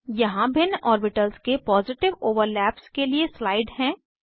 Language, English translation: Hindi, Here is a slide for Positive overlap of different orbitals